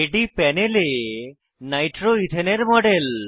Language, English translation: Bengali, This is a model of nitroethane on the panel